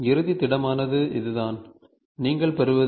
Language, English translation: Tamil, The final solid is this, what you get